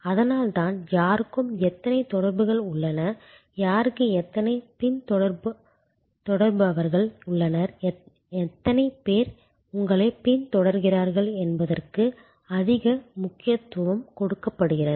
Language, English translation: Tamil, So, that is why there is so much of emphasize on who has how many connections, who has how many followers and how many people are you following